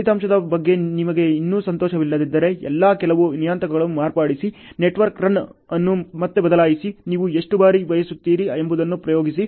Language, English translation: Kannada, If you are still not happy with the result ok, modify all some parameters, change the network run again experiment how many of a times you want ok